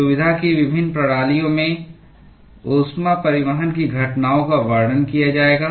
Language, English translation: Hindi, The heat transport phenomena in various systems of interest will be described